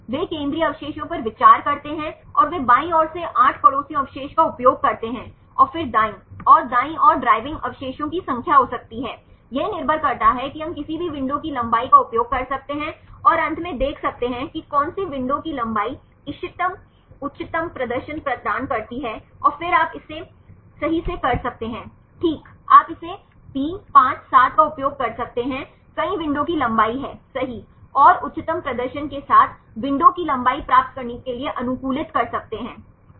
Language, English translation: Hindi, They consider central residues and they use 8 neighbors from left side and then right side right this may number of driving residues depends we can use any window length and see finally, which window length provides the optimal highest performance right then you can fix it right, you can use it 3 5 7 several window lengths right and can optimize to get the window lengths with the highest performance